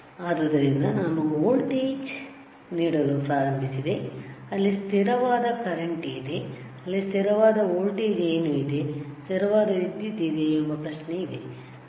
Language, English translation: Kannada, Some voltage is there constant current is there what is there constant voltage is there constant current is there is a question, right